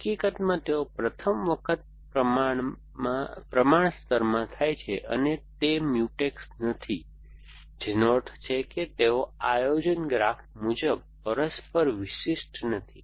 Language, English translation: Gujarati, In fact, the first time they occur in the proportion layer and they are not Mutex, which means they are not mutually exclusive as per the planning graph